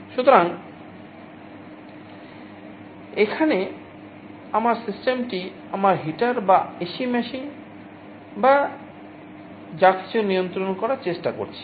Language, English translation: Bengali, So, my system here is my heater or AC machine or whatever I am trying to control